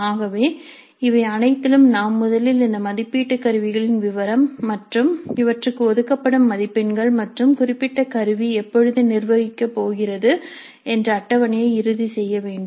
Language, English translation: Tamil, So in all these cases we must finalize first the details of these assessment instruments and the marks allocated for them as well as the schedule when that particular instrument is going to be administered